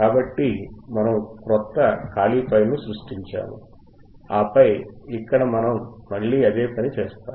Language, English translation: Telugu, So, we have we have created a new file a blank file and then here we will again do the same thing